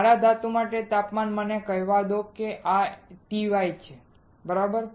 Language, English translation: Gujarati, Temperature for my metal let me say TM this is TY, right